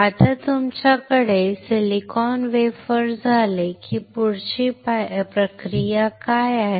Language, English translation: Marathi, Now, once you have the silicon wafer then what is the next process